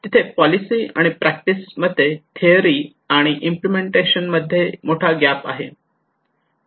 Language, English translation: Marathi, There is a huge gap between policy and practice, theory and implementation why